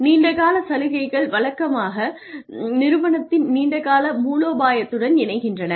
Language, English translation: Tamil, So, long term incentives usually tie in with the long term strategy of the organization